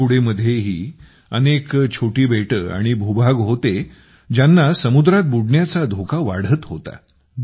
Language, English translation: Marathi, There were many such small islands and islets in Thoothukudi too, which were increasingly in danger of submerging in the sea